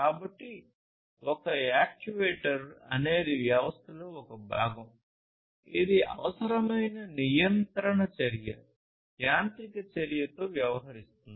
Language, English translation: Telugu, So, an actuator is a part of the system that deals with the control action that is required, the mechanical action